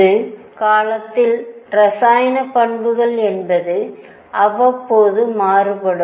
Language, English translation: Tamil, And what once it was chemical properties varied in a periodic manner